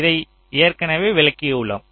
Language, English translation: Tamil, i shall be explaining this